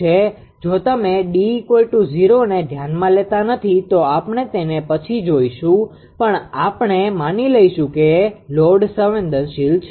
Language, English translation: Gujarati, If you do not consider that D is equal to 0 later we will see, but we will assume that load is sensitive